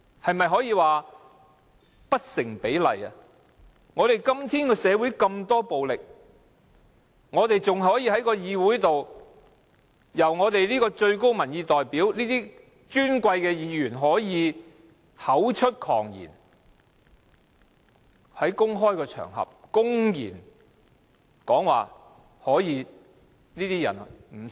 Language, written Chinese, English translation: Cantonese, 我們的社會今天充斥着這麼多暴力事件，更有進身立法會的最高民意代表，身為尊貴的議員，竟可口出狂言，在公開場合公然說"不殺了這些人又如何？, Our society is replete with violence incidents nowadays . Worse still a highest - level representative of public opinion who is elected a Member of this Council and become an Honourable Colleague of ours has breathed out such ravings on a public occasion that why not kill such advocates?